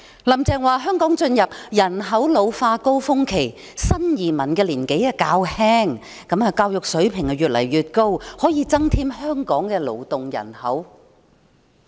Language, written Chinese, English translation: Cantonese, "林鄭"說，香港進入了人口老化高峰期，新移民的年紀較輕，教育水平也越來越高，可以增添香港的勞動人口。, According to Carrie LAM as Hong Kong is reaching its peak of ageing population new immigrants who are relatively young and have rising education levels can increase our workforce